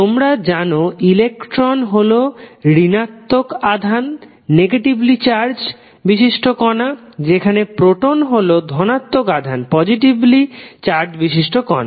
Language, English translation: Bengali, You know that the electron is negative negative charged particle while proton is positive charged particle